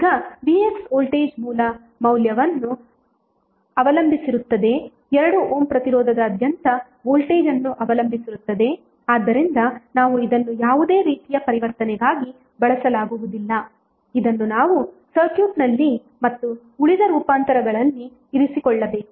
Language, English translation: Kannada, Now, Vx the voltage across this is depending upon the voltage source value is depending upon the voltage across 2 ohm resistance so, we cannot use this for any transformation we have to keep it like, this in the circuit, and rest of the transformations we can do